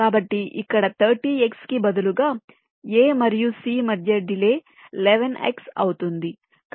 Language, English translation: Telugu, so instead of thirty x here, the delay between a and c becomes eleven x